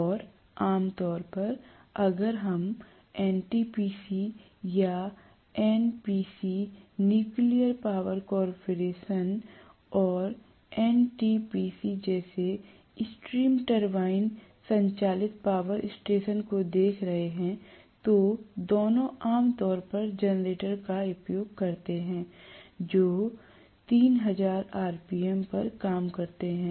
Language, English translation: Hindi, And generally, if we are looking at the stream turbine driven power station like NTPC or NPC – Nuclear Power Corporation and NTPC, both of them generally use the generators which work at 3000 rpm